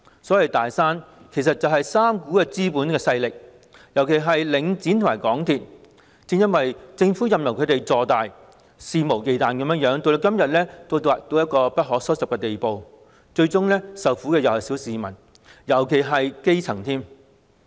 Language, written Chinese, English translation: Cantonese, 所謂"大山"，其實是3股資本勢力，尤其是領展和港鐵公司，正因為政府任由它們坐大和肆無忌憚，才會演變成今天不可收拾的地步，最終受苦的是小市民，尤其是基層市民。, Regarding these so - called three big mountains they are actually three capital forces―which is particularly the case for Link REIT and MTRCL―that are unchecked by the Government as they become more and more powerful and act arbitrarily thus resulting in these problems getting out of hand today and ultimately causing sufferings to members of the ordinary public especially the grass roots